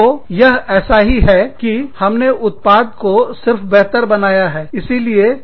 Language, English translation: Hindi, So, it is the same thing, we have just made the product better